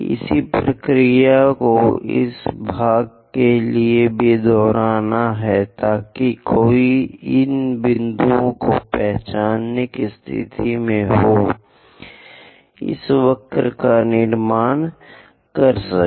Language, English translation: Hindi, Same procedure one has to repeat it for this part also so that one will be in a position to identify these points, construct this curve